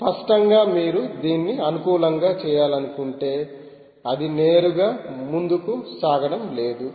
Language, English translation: Telugu, obviously, if you want to make it compatible, its not going to be straight forward for you